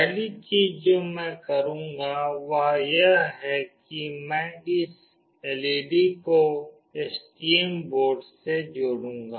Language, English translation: Hindi, The first thing that I will be do is I will connect this LED with STM board